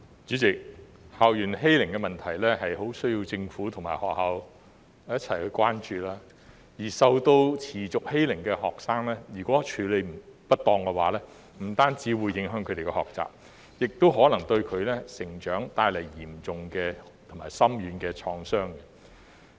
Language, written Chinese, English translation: Cantonese, 主席，校園欺凌的問題很需要政府和學校一起關注，而受到持續欺凌的學生，如果處理不當的話，不單會影響他們的學習，也可能對他們的成長帶來嚴重和深遠的創傷。, President the problem of school bullying warrants the attention of both the Government and schools . If students suffer continuous bullying and such cases are not handled properly it will not only affect their learning but will also cause serious and far - reaching damage to their development